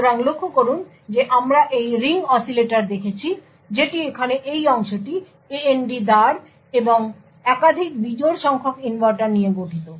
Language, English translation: Bengali, So, note that we have looked at Ring Oscillator that is this part over here comprising of the AND gate and multiple odd number of inverters